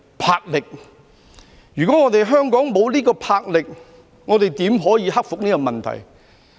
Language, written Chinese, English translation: Cantonese, 魄力。如果我們香港沒有這種魄力，怎可以克服這個問題。, If not for such fortitude we in Hong Kong would not have overcome this problem?